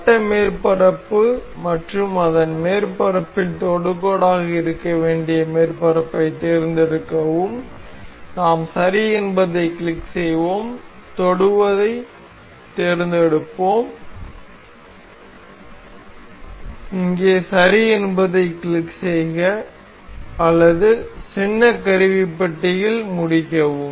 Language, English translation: Tamil, Select the circular surface and the surface it has to be tangent upon, and we will click ok, selecting tangent, we click ok here or either in the mini toolbox, finish